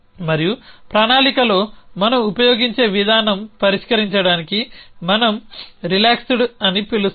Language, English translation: Telugu, And the approach that we use in planning is to solve the, what we called is the relaxed